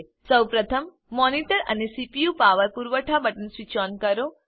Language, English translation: Gujarati, First of all, switch on the power supply buttons of the monitor and the CPU